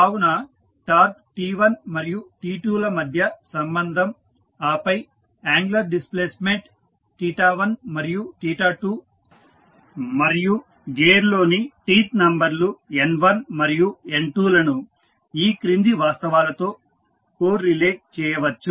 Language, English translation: Telugu, So, the relationship between torque T1 and T2 and then angular displacement theta 1 and theta 2 and the teeth numbers in the gear that is N1 and N2 can be correlated with the following facts